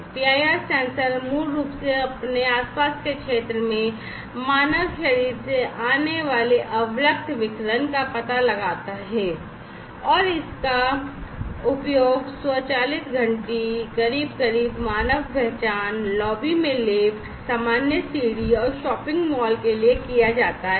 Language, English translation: Hindi, PIR sensor basically detect the infrared radiation coming from the human body in its surrounding area it is used for automatic doorbell, close closer, human detection, then the elevators in the lobbies, then common staircase, and shopping malls